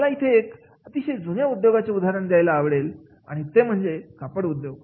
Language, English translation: Marathi, I would like to take the example of the very old industry that is of the textile industry